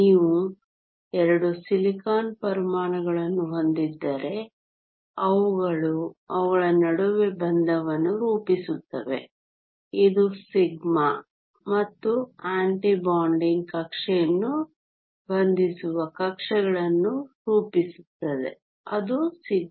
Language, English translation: Kannada, If you have 2 silicon atoms, they form a bond between them this forms the bonding orbitals which is the sigma and the anti bonding orbital that is the sigma star